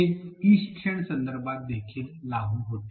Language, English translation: Marathi, This holds in an e learning context also